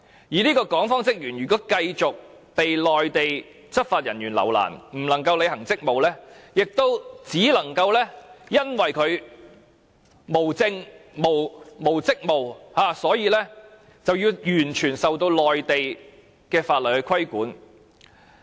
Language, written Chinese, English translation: Cantonese, 如果這名港方職員繼續被內地執法人員留難，不能履行職務，也因為他無證件和無職務，所以只能完全受內地法律規管。, By then the officer of the Hong Kong authorities who has been hindered by the Mainland law enforcement officer continually will not be able to perform his duties . Since he has no permit and is not performing duties he cannot but be subject fully to the regulation of the laws of the Mainland